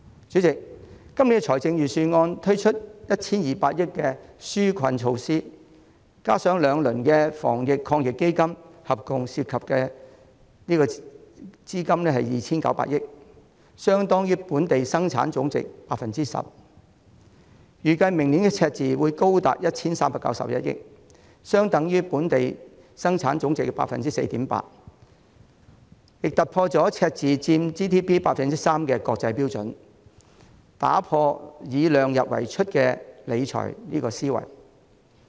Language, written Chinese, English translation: Cantonese, 主席，今年的預算案推出 1,200 億元的紓困措施，加上兩輪防疫抗疫基金，合共涉資 2,900 億元，相當於本地生產總值 10%， 預計明年赤字將高達 1,391 億元，相當於本地生產總值 4.8%， 亦超出了赤字佔本地生產總值 3% 的國際標準，打破量入為出的理財思維。, President the relief measures costing 120 billion introduced in this years Budget and the two rounds of AEF have totalled 290 billion equivalent to 10 % of the Gross Domestic Product GDP . The deficit is estimated to be as high as 139.1 billion next year equivalent to 4.8 % of GDP going beyond the international standard of 3 % of GDP and breaking with the philosophy of public finance management to keep the expenditure within the limits of revenues